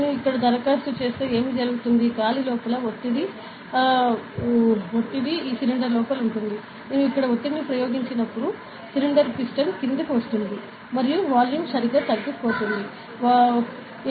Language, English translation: Telugu, So, if I apply here what happen is, pressure inside the air is inside this cylinder, when I apply the pressure here, the cylinder is the piston is going to come down and the volume decreases correct, volume decreases